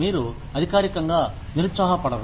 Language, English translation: Telugu, You are not officially depressed